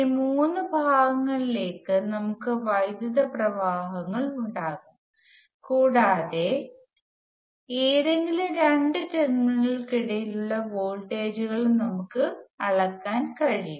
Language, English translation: Malayalam, We can have currents going into all three of them, and we can also measure the voltages between any two of those terminals